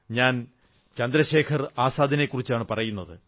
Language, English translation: Malayalam, I am talking about none other than Chandrasekhar Azad